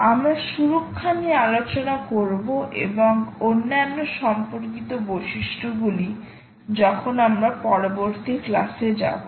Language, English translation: Bengali, we will discuss security and other related the features as we go along in the next class, thank you